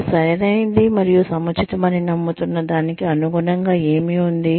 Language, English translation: Telugu, What is in line with what you believe, to be right and appropriate